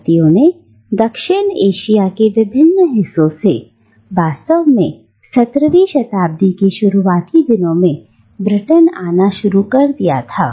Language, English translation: Hindi, Indians started arriving in Britain from different parts of South Asia really as early as the 17th century